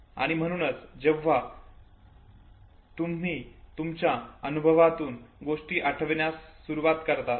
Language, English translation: Marathi, And therefore when you start recollecting things from your experience, okay